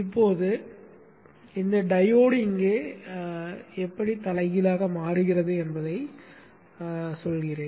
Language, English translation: Tamil, Now let me just tell you how this diode gets reversed biased here